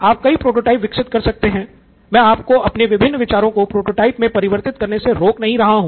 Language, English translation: Hindi, You can have multiple prototypes as well I am not stopping you from making multiple ideas into prototypes